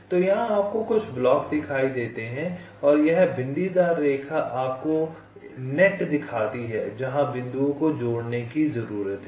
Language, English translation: Hindi, so so here you see some blocks and this dotted lines show you ah, the nets, the points which need to be connected